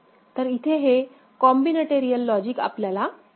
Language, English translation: Marathi, So, this is the combinatorial logic that we will get right